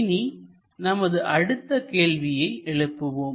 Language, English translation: Tamil, Let us ask next question